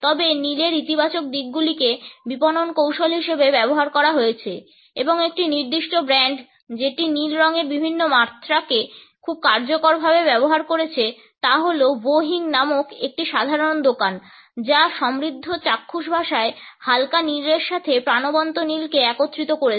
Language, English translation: Bengali, However the positive aspects of blue have been used as marketing strategy and a particular brand which has used different shades of blue very effectively is the one of Wo Hing general store which draws on the rich visual language that combines vibrant blue with light blue